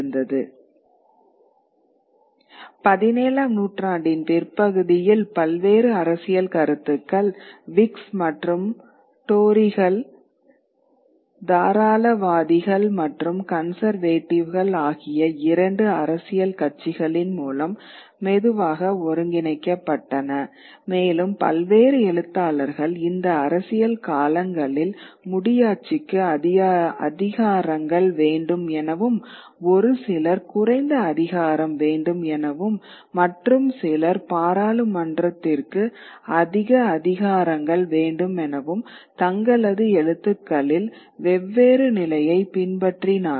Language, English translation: Tamil, Later in the 17th century century you will slowly these various political opinions get consolidated into form of two political parties the Whigs and the Tories the liberals and the and the and the conservators and various and writers took positions along these political lines those who wanted more powers for the monarchy, those who wanted lesser power, more powers for the parliament